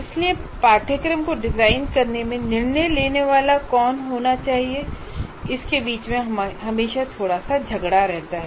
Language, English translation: Hindi, So there is always a bit of tussle between who should be the final decision maker in designing a course